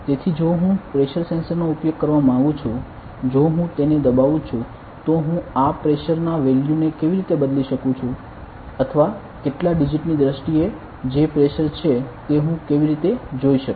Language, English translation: Gujarati, So if I want to use pressure sensor, if I press it then how can I change this pressure value or how can I see what is the pressure there were applying in terms of some digits